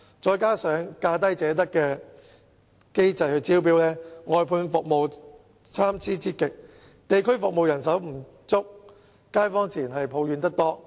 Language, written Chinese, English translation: Cantonese, 再加上以價低者得的機制招標，外判服務質素參差之極，地區服務人手不足，街坊自然抱怨得多。, Coupled with the lowest bid wins mechanism adopted in respect of tendering the quality of outsourced services varies greatly and the manpower for district services is inadequate so naturally local residents have a lot of grumbles